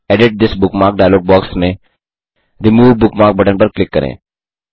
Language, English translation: Hindi, From the Edit This Bookmark dialog box, click the Remove Bookmark button